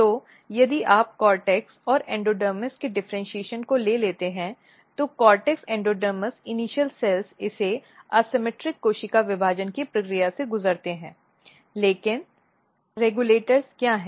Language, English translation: Hindi, So, if you take the differentiation of cortex and endodermis and what happens that, just now we said that cortex endodermis initial cells it undergo the process of asymmetric cell division, but what are the regulators